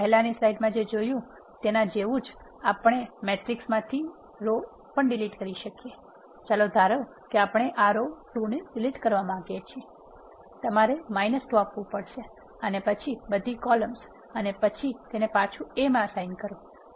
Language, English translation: Gujarati, Similar to what we have seen in the earlier slide we can also delete a row from the matrix which is, let us suppose we want to delete this row 2 you have to say minus 2 and then all columns and then assign it back to A